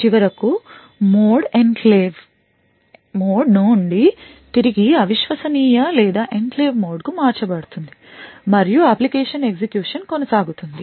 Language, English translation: Telugu, And finally, the mode is switched back from the enclave mode back to the untrusted or the enclave mode and the application continues to execute